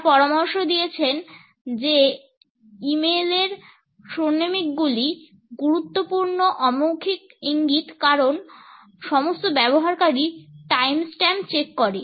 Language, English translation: Bengali, They have suggested that chronemics of e mail are significant nonverbal cues as all users check the time stamps